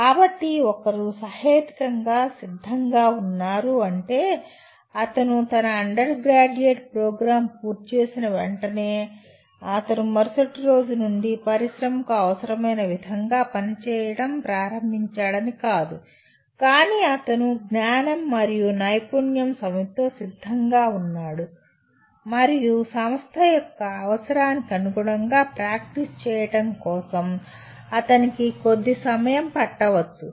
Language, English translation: Telugu, So one is reasonably ready, it does not mean that as soon as he completes his undergraduate program he is from the next day he starts performing as required by the industry but he is ready with the knowledge and skill set and he may take a short time for him to start practicing as per the requirement of the organization